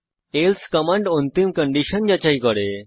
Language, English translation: Bengali, else command checks the final condition